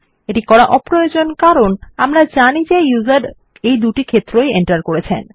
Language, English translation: Bengali, Its unnecessary to do so since we know the user has entered both these fields